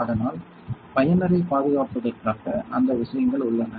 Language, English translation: Tamil, So, as to protect the user; so those things are there